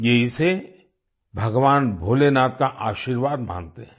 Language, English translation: Hindi, They consider it as the blessings of Lord Bholenath